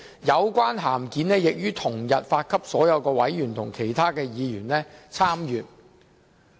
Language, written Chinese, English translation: Cantonese, 有關函件已於同日發給所有委員及其他議員參閱。, The relevant correspondence was then circulated to all members and other Members on the same day for their information